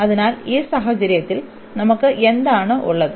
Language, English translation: Malayalam, So, in this case what do we have